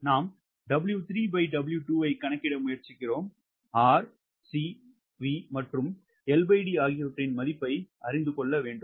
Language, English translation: Tamil, right, we are trying to calculate w three by w two, we need to know the value of r, c, v and l by d r